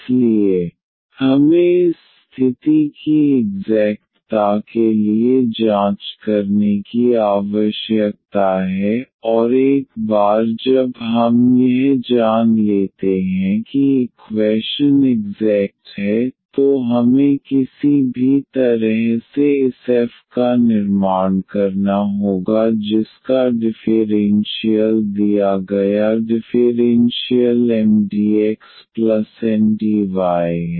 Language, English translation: Hindi, So, we need to check this condition for the exactness, and once we know that the equation is exact then we have to construct this f somehow whose differential is the given differential equation Mdx plus Ndy